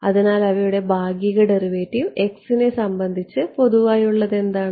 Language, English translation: Malayalam, So, what is common over there the partial derivative with respect to